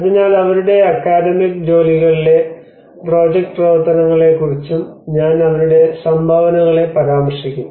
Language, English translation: Malayalam, So I will be referring to their contributions on their academic work also the project work